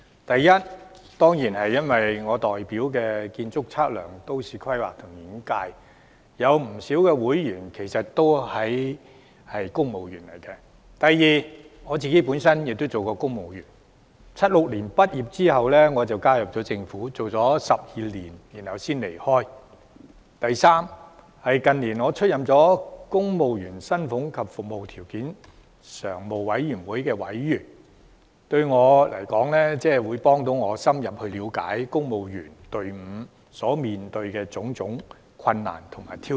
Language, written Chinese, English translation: Cantonese, 第一，當然是因為我代表的建築、測量、都市規劃及園境界中，有不少人是公務員；第二，我亦曾經當過公務員，我於1976年畢業後便加入政府，工作了12年才離開；第三，近年我出任公務員薪俸及服務條件常務委員會委員，對我來說，這有助我深入了解公務員隊伍所面對的種種困難和挑戰。, After my graduation in 1976 I joined the Government and only left it after 12 years of service . Thirdly in recent years I have been serving as a member of the Standing Commission on Civil Service Salaries and Conditions of Service . To me this has helped me to have a deeper understanding of the various difficulties and challenges facing the civil service